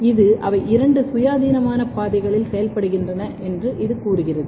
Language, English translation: Tamil, This tells that they are working in two independent pathways